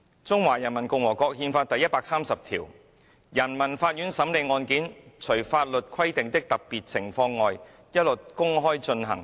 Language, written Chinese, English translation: Cantonese, "《中華人民共和國憲法》第一百二十五條："人民法院審理案件，除法律規定的特別情況外，一律公開進行。, Article 125 of the Constitution reads All cases handled by the peoples courts except for those involving special circumstances as specified by law shall be heard in public